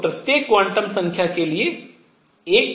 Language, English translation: Hindi, So, one for each quantum number